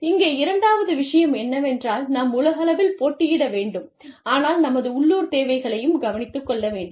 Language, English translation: Tamil, The second point here is, that we need to compete globally, but also take care of our local needs